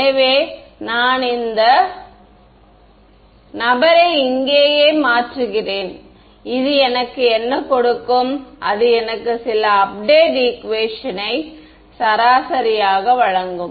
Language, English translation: Tamil, So, I take this guy take this guy and substitute them here right and what will that give me, it will give me some update equation right